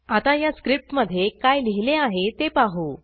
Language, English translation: Marathi, Let us look at what I have written inside this script